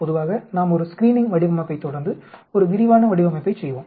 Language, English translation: Tamil, Generally, we will do a screening design followed by a detailed design